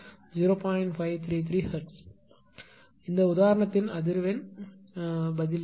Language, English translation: Tamil, 533 hertz; this is the frequency response of this example